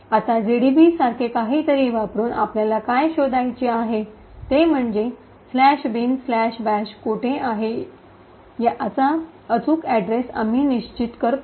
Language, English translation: Marathi, Now what we need to find out is by using, something like GDB we determine the exact address where slash bin slash bash is present